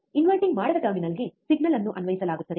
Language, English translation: Kannada, Signal is applied to the non inverting terminal